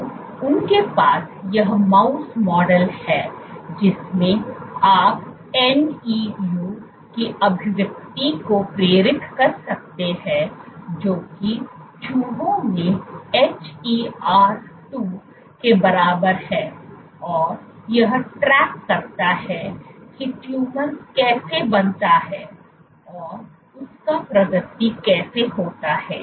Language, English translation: Hindi, So, you have this mouse model in which you can induce expression of NEU which is a rat equivalent of HER 2 and track how tumors progress a form and progress